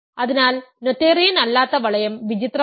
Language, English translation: Malayalam, So, not non noetherian ring are strange